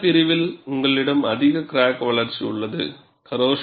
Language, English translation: Tamil, And you have higher crack growth rate in this section